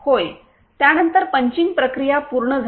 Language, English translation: Marathi, Yes, after that punching process is completed